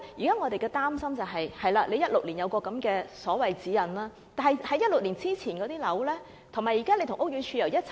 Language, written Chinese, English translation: Cantonese, 我們現時所擔心是，當局在2016年制訂了所謂《設計指引》，但2016年之前落成的樓宇現時又如何呢？, We actually have one big worry here . The authorities formulated the Guidelines for Designing in 2016 but how about the buildings completed before 2016?